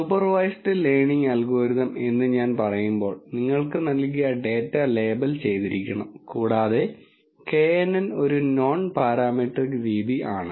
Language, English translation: Malayalam, When I say supervised learning algorithm that means the data that is provided to you has to be labelled data and knn is a non parametric method